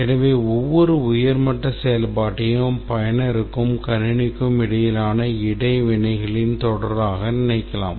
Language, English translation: Tamil, So, we can think of every high level function as a series of interactions between the user and the computer